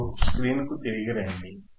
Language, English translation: Telugu, Now, come back to the screen